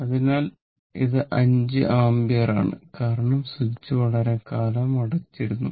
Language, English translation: Malayalam, So, it is 5 ampere because the switch was closed for a long time